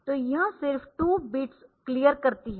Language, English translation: Hindi, So, it is just clearing the 2